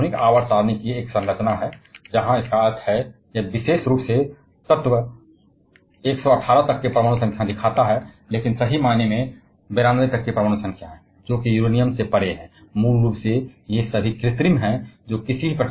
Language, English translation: Hindi, This is a structure of modern periodic table, where means this particular one shows elements up to an atomic number of 118, but truly speaking up to atomic number of 92, which is Uranium beyond that basically all of them are artificial that is produced in the laboratory via some kind of nuclear experiments or nuclear reactions